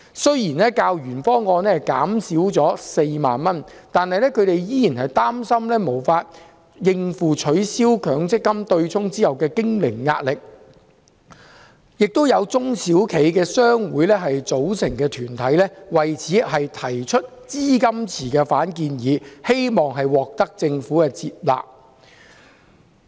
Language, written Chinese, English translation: Cantonese, 雖然金額較原方案減少4萬元，但他們仍然擔心無法應付取消強積金對沖後的經營壓力，亦有中小企商會組成的團體提出反建議，要求設立資金池，希望獲政府接納。, Although employers can pay 40,000 less than the original proposal they are still concerned about not being able to cope with the pressure of operation after the abolition of the MPF offsetting mechanism . Some organizations made up of business associations of SMEs have made a counterproposal for creation of a fund pool and they hope that the Government will accept it